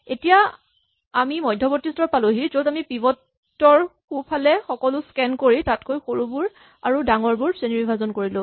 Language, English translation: Assamese, Now, we have reached an intermediate stage where to the right of the pivot we have scanned everything and we have classified them into those which are the smaller ones and those which are the bigger ones